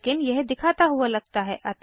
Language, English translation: Hindi, But it seemed to showing immediately